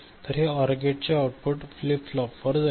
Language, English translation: Marathi, So, this OR gate output goes to a flip flop ok